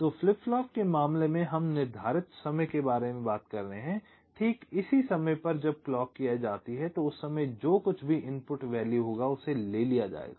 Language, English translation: Hindi, ok, so in case of flip flops, we are talking about precised times, exactly at this time where the clock edge occurs, whatever is the input